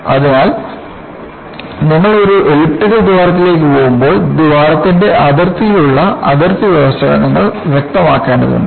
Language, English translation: Malayalam, So, the moment you to go an elliptical hole, you need to specify the boundary conditions on the boundary of the hole